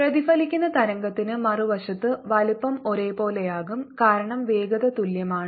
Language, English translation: Malayalam, on the other hand, for the reflected wave, the size is going to be the same because the velocities are the same